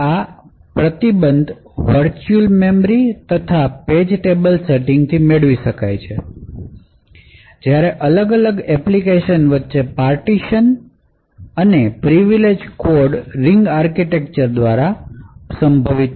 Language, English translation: Gujarati, These restrictions are enforced by the virtual memory and page tables setting while the partitions between the applications and privileged codes are achieved by the ring architecture